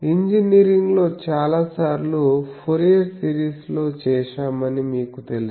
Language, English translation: Telugu, You know that in engineering many times we do that the best example is the Fourier series